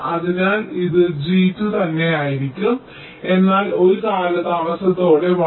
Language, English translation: Malayalam, so it will be g two itself, but with a delay of one